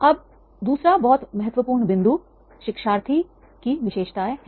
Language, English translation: Hindi, Now, second very important point is the learners attributes